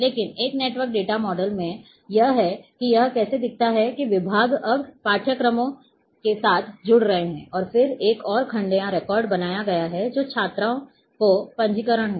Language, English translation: Hindi, But a in a network data model this is how it looks, that departments are now having linkage with the courses and then there is another you know section or records have been created which is the registration of a students